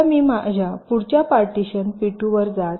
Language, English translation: Marathi, now i move to my next partition, p two